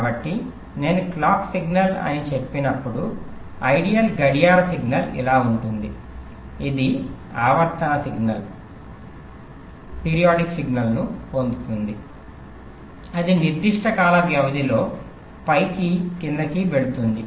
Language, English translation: Telugu, so when i say the clock signal, so the ideal clock signal will be like this: it would be get periodic signal that we go up and down with certain time period, lets say t